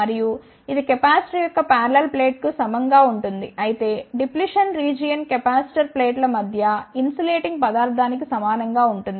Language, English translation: Telugu, And, this will be analogous to the parallel plates of the capacitor whereas, the depletion region is analogous to the insulating material between the capacitor plates